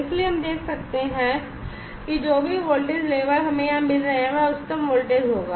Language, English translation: Hindi, So, we can see whatever the voltage label we are getting here it will be the highest voltage